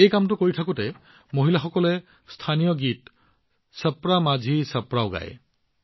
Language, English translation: Assamese, Along with this task, women also sing the local song 'Chhapra Majhi Chhapra'